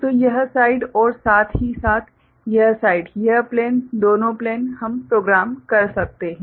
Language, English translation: Hindi, So, this side as well as this side this plane, both the plane we can program right